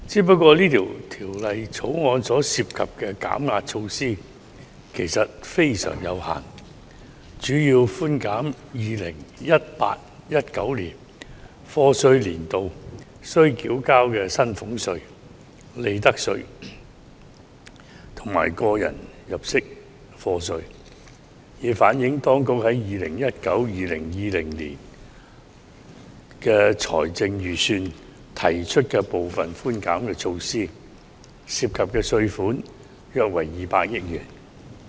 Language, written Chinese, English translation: Cantonese, 不過，《條例草案》涉及的減壓措施其實非常有限，主要寬減 2018-2019 課稅年度須繳交的薪俸稅、利得稅及個人入息課稅，以反映當局在 2019-2020 年度財政預算案提出的部分寬減措施，涉及的稅款約為億元。, However the relief measures proposed in the Bill are actually very limited . They mainly seek to give effect to the proposal in the 2019 - 2020 Budget to reduce salaries tax profits tax and tax under personal assessment for the year of assessment 2018 - 2019 . The total revenue forgone amounts to 20 billion